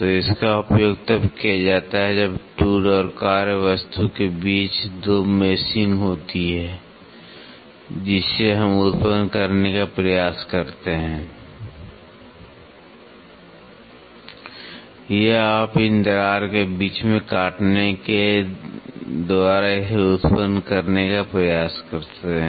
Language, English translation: Hindi, So, that is used when 2 meshing happens between the tool and work piece we try to generate or you can try to generate it by milling the cutting these slots in between